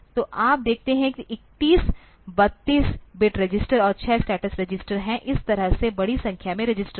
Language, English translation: Hindi, So, you see there are 31, 32 bit registers plus 6 status register that way there are a large number of registers